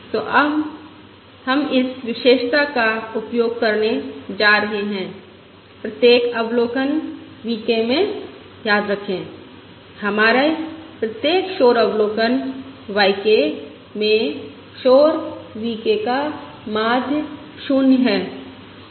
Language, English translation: Hindi, So we are going to use this property, remember, in each observation V k, in each noisy observation, in each our noisy observation y k